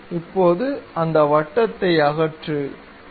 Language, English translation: Tamil, Now, remove that circle, ok